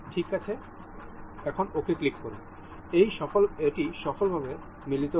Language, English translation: Bengali, Click ok, this is mated successfully